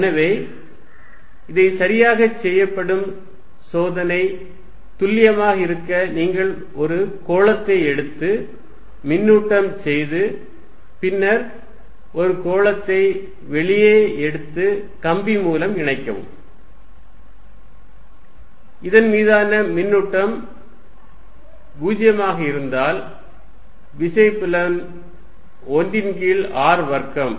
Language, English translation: Tamil, So, the experiment that is done to check this is precisely this you take a sphere charge it and then take a sphere outside and connect by wire, if the charge on this is sphere becomes is 0, I know the force field is 1 over r square